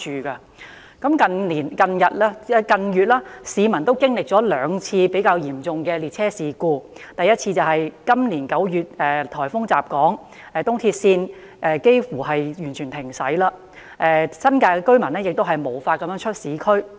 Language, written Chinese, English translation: Cantonese, 市民近月已經歷兩次比較嚴重的列車事故，第一次是今年9月颱風襲港後，東鐵線近乎全面停駛，新界居民無法前往市區。, Over the recent months the public have encountered two serious railway incidents . The first one happened in September this year after a typhoon hit Hong Kong . The East Rail Line almost came to a complete halt